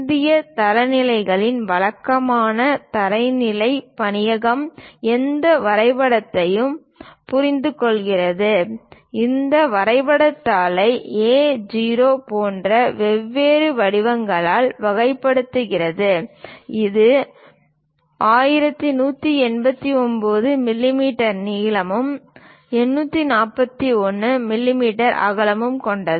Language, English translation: Tamil, The typical standards bureau of Indian standards recommends for any drawing, categorizing these drawing sheets into different formats like A0, which is having a length of 1189 millimeters and a width of 841 millimeters